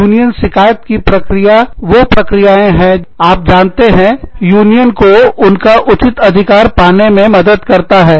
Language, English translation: Hindi, Union grievance procedures, are procedures, that are, you know, that help the union, get its due